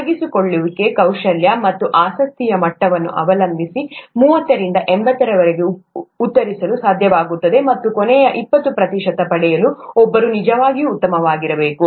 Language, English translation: Kannada, Thirty to eighty depending on the level of engagement, skill and interest would be able to answer and one needs to be really good to get the last twenty percent